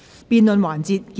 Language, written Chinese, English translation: Cantonese, 辯論環節結束。, The debate session ends